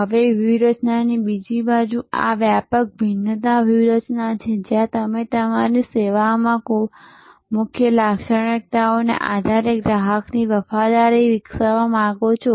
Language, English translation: Gujarati, Now, the other side of the strategy is this broad differentiation strategy, where you want to develop the customer loyalty based on some key features in your service